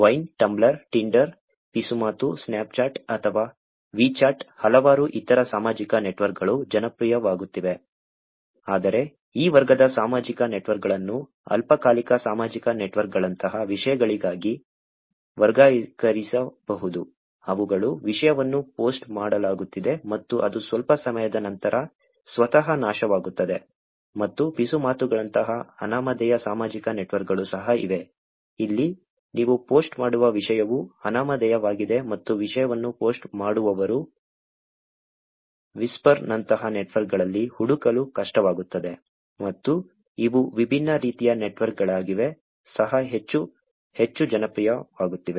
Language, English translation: Kannada, Vine, tumblr, tinder, whisper, Snapchat or Wechat, there are many, many other social networks which are getting popular, but these category of social networks can be categorized into things like ephemeral social networks which are where the content is getting posted and it destroys by itself after some time and there is also anonymous social networks like whisper, where the content that you post, is also anonymous and who is posting the content is actually difficult to find in networks like Whisper and these are different types of networks that are also getting more and more popular